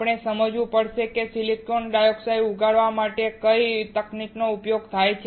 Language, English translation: Gujarati, We have to understand what is the technique used to grow silicon dioxide